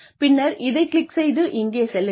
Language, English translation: Tamil, And then, click on this, and go here